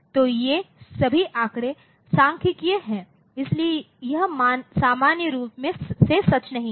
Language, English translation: Hindi, So, these are all statistical in data, so, it is not true in general, ok